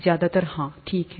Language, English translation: Hindi, Mostly yes, okay